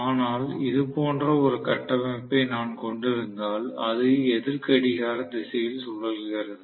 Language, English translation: Tamil, I will have if I assume that it is rotating in anticlockwise direction